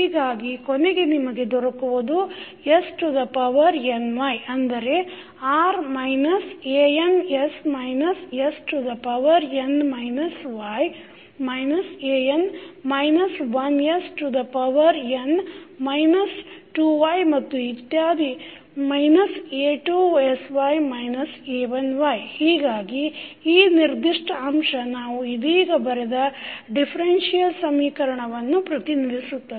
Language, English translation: Kannada, So, what you get finally that is s to the power ny is nothing but r minus an s minus s to the power n minus y minus an minus 1 s to the power n minus 2y and so on up to minus a2sy minus a1y, so this particular figure represents the differential equation which we just written